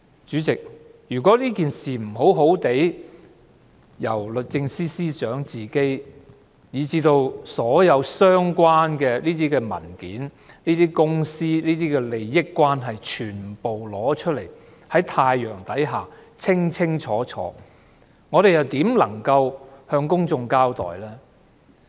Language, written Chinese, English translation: Cantonese, 主席，如果律政司司長不親自提交所有相關文件，並交代公司的一切利益關係，全部放在太陽之下，我們如何能夠向公眾交代呢？, President if the Secretary for Justice does not personally submit all the relevant documents and explains the interests of the company involved so as to place everything under the sun how can we be accountable to the public